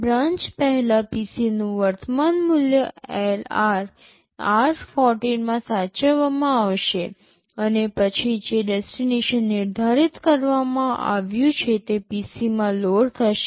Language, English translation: Gujarati, Before branching, the current value of the PC will be saved into LR and then the destination which is specified will be loaded into PC